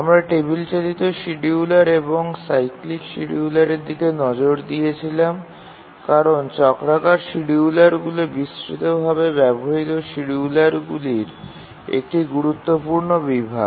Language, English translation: Bengali, We looked at the table driven scheduler and spent a couple of lectures on cyclic schedulers because cyclic schedulers are an important category of schedulers used extensively